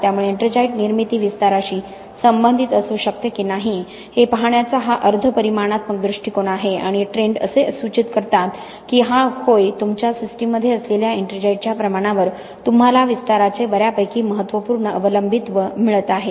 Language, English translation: Marathi, So this is a semi quantitative approach to look at whether ettringite formation can be related to expansion or not and the trends do indicate that yes you are getting a fairly significant dependence of expansion on the amount of ettringite that is there in your system